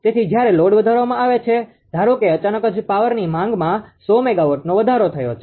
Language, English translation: Gujarati, So, they because I mean when the load is increased suppose ah all of a sudden the power demand has increase 100 megawatt